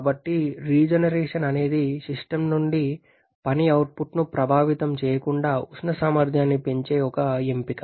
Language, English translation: Telugu, So, regeneration is an option of increasing the thermal efficiency without affecting work output from the system